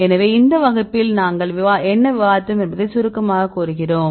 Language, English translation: Tamil, So, in summarizing what did we discuss in this class